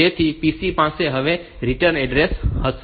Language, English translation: Gujarati, So, PC will now have the return address